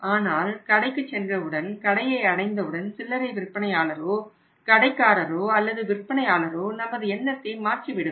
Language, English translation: Tamil, But when we reach at the store retailer of the shopkeeper the store owner or their salesman they totally changed your mind